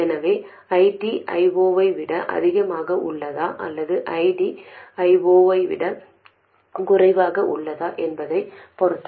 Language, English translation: Tamil, So, depending on whether ID is more than I 0 or ID is less than I 0